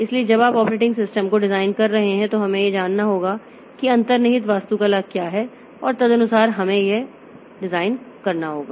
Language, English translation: Hindi, So, when you are designing the operating system so we have to know what is the underlying architecture and accordingly we have to do this design